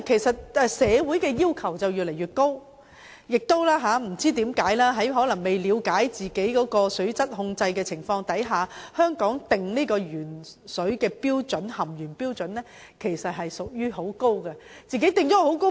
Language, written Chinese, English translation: Cantonese, 社會的要求越來越高，但不知為何，當年在可能未了解本身的水質控制情況之下，當局就香港的食水含鉛標準訂定了很高的要求。, Our society has become increasingly demanding but out of unknown reason the Government has set a very high standard for lead contents in drinking water of Hong Kong back in those years perhaps when it did not fully understand its own performance in water quality control